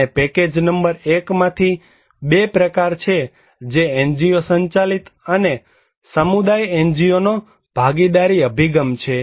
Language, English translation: Gujarati, And from package number 1, there are 2 that are NGO driven and community NGO partnership approach